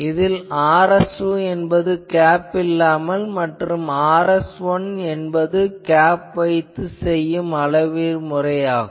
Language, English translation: Tamil, So, Rs2 is without the cap Rs2 is without cap and Rs1 is with cap no